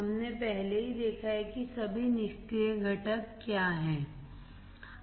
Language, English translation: Hindi, We already have seen what are all the passive components